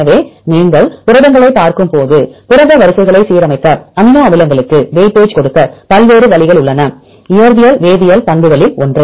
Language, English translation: Tamil, So, when you look into proteins, there are various ways to align the protein sequences, to give weightage to the amino acids it is the one of the physical chemical properties